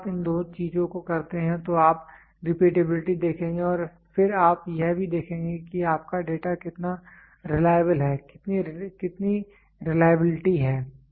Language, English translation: Hindi, When you do these two things you will try to see that repeatability and then you will also see how reliable are your data reliability